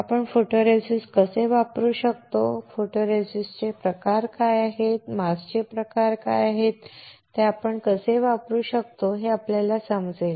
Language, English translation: Marathi, You will understand how we can use photoresist, what are the types of photoresist, what are the types of mask and how we can use it